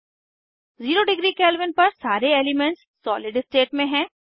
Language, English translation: Hindi, At zero degree Kelvin all the elements are in solid state